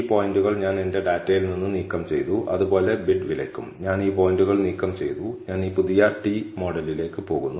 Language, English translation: Malayalam, These points I have removed from my data and similarly, for bid price also, I have removed these points and I am going to t the new model